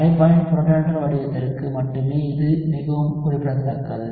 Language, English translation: Tamil, It is very very specific to only the protonated form of the solvent